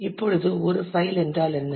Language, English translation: Tamil, Now, what is a file